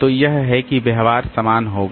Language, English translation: Hindi, So, that is that behavior will be same